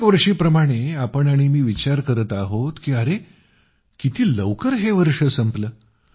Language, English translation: Marathi, And like every time, you and I are also thinking that look…this year has passed so quickly